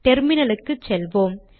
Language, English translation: Tamil, Let me go to the terminal